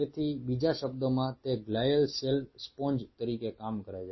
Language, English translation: Gujarati, so in other word, those glial cells acts as a sponge